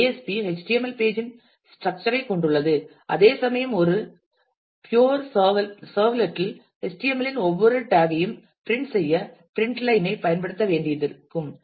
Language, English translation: Tamil, Because JSP has the structure of the HTML page whereas, in a pure servlet we will have to use print line to print every tag of the HTML which is cumbersome